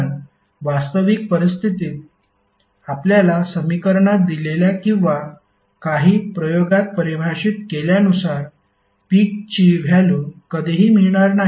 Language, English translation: Marathi, Because in real scenario you will never get peak values as given in the equation or as defined in some experiment